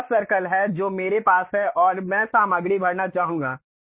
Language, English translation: Hindi, This is the circle what I would like to have and I would like to fill the material